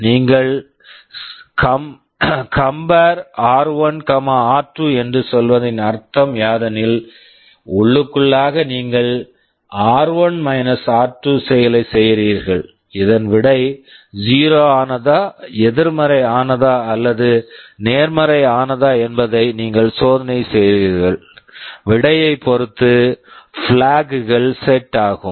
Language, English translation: Tamil, Like you can say CMP r1,r2; that means, internally you are doing r1 r2 and you are checking whether result is 0, negative or positive, accordingly the flags will be set